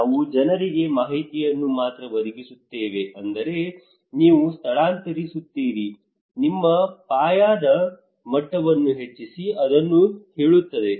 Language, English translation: Kannada, We only provide information to the people telling them you do this you evacuate you raise your plinth level okay